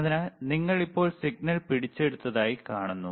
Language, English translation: Malayalam, So, you see you have now captured the signal